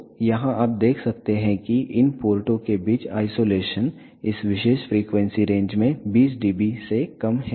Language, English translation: Hindi, So, here you can see that the isolation between these ports is less than 20 dB throughout this particular frequency range